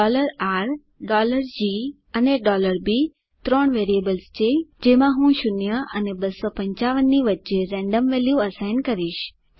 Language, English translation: Gujarati, $R, $G, and $B are three variables to which I am assigning random values between 0 and 255